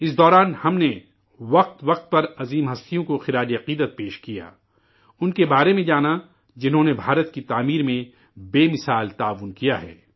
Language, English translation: Urdu, During all this, from time to time, we paid tributes to great luminaries whose contribution in the building of India has been unparalleled; we learnt about them